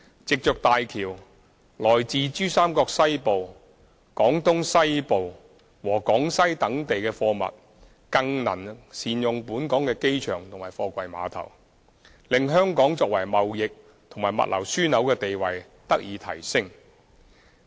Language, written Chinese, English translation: Cantonese, 藉着大橋，來自珠三角西部、廣東西部和廣西等地的貨物更能善用本港的機場和貨櫃碼頭，令香港作為貿易和物流樞紐的地位得以提升。, With HZMB cargo originated from western PRD western Guangdong and Guangxi can make better use of the airport and container port of Hong Kong thereby strengthening Hong Kongs position as a trading and logistics hub